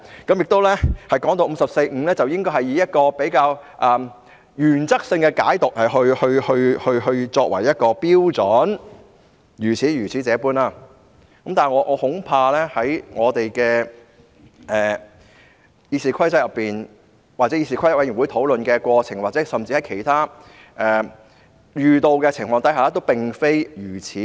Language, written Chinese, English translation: Cantonese, 他亦說大家應原則性地解讀《議事規則》第545條，但我恐怕在《議事規則》內或議事規則委員會討論的過程中，甚至是其他遇到的情況下，亦並非如此。, He also says that we should interpret Rule 545 of the Rules of Procedure on a principle basis . However I am afraid that this is not the case in the Rules of Procedure in the course of discussion by the Committee on Rules of Procedure or even in other circumstances